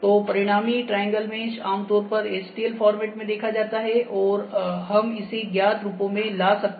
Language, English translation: Hindi, So, the resultant triangle mesh is typically spotted in this format stl format, and we can brought it into the known forms